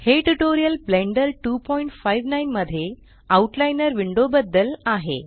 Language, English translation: Marathi, This tutorial is about the Outliner window in Blender 2.59